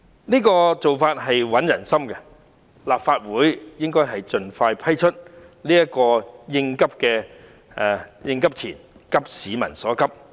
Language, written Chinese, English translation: Cantonese, 這做法穩定人心，因此立法會應盡快批出這筆應急錢，以急市民所急。, As this initiative can consolidate public confidence the Legislative Council should expeditiously approve the allocation of the contingency money to address peoples pressing needs